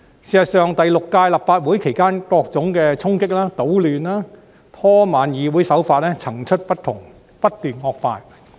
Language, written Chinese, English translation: Cantonese, 事實上，在第六屆立法會期間，各種衝擊、搗亂、拖慢議會的手法層出不窮，不斷惡化。, As a matter of fact during the Sixth Legislative Council numerous tricks have come up incessantly to cause disruption to create disturbances in and delay operation of this Council and the situation has kept deteriorating